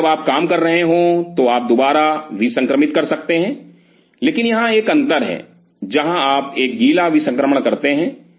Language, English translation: Hindi, So, while you are working you can re sterilize, but there is a difference this is where you have a wet sterilization